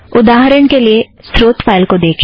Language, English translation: Hindi, For example, look at the source file